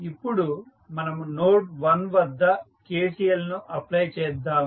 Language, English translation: Telugu, Now, let us apply the KCL at node 1